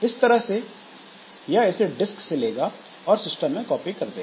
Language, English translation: Hindi, So, that is from the disk it will take it and it will be copied onto the system